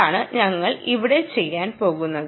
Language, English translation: Malayalam, thats what we are going to do here and ah